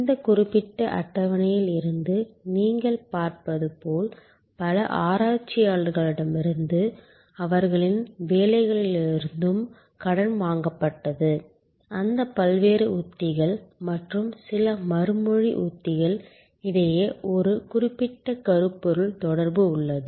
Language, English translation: Tamil, And as you will see you from this particular table, borrowed from number of researcher and their work that there is a certain thematic linkage among those various strategies and some of the response strategies actually tackle number of service characteristics